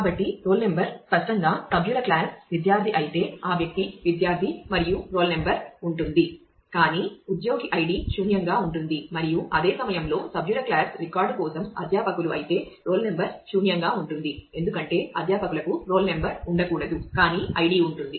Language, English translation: Telugu, So, the roll number ah; obviously, if it is if the member class is student then the person is a student and the roll number will exist, but the id which is an employee id will be null and at the same time if member class is a faculty for a record then the roll number will be null because, a faculty cannot have a roll number, but the id will be present